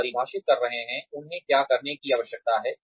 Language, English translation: Hindi, You are defining, what they need to do